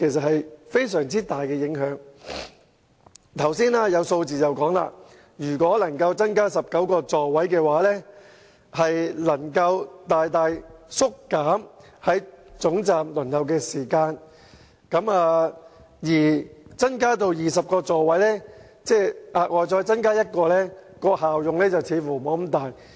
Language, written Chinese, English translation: Cantonese, 我們從剛才的數字得知，如果小巴座位增加至19個，將能大大縮短在總站的候車時間，但如果再額外增加1個座位至20個，卻似乎沒有明顯的效用。, From the figures provided earlier we understand that if the number of seats in light buses is increased to 19 the waiting time at the terminus can be greatly reduced whereas if the number of seats is increased to 20 the effect seems to be insignificant